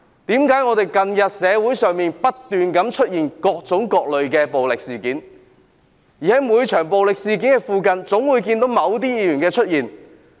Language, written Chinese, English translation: Cantonese, 為何近日社會上不斷出現各種各類的暴力事件，而每場暴力事件總會看見某些議員出現？, Why have different forms of violent incidents occurred continuously in society recently and why did certain Members appear invariably in every violent incident?